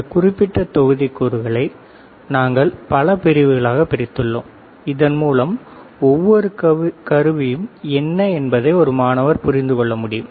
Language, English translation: Tamil, We have divided these particular modules into several sections so that this student can understand what are each equipment